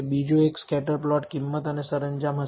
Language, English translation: Gujarati, The second one is the scatter plot will be price and decor